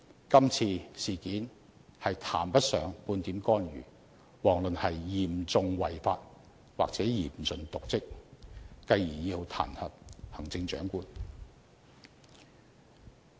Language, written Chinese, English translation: Cantonese, 今次事件談不上半點干預，遑論事關嚴重違法或嚴重瀆職而要彈劾行政長官。, The current incident does not involve the issue of interference let alone serious breach of law or dereliction of duty to warrant the impeachment of the Chief Executive